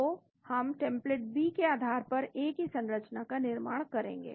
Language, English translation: Hindi, So, we built structure of A based on the template B